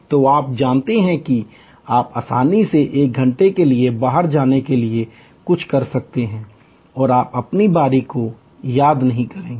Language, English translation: Hindi, So, you know about you can easily get something done outside go away for an hour and you will not miss your turn